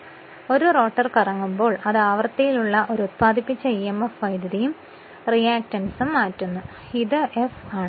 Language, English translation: Malayalam, Because when a rotar rotating its frequency is changing a induced emf current as well as the reactance also because this is this is f right